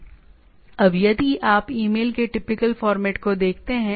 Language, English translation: Hindi, Now if you look at the typical format of email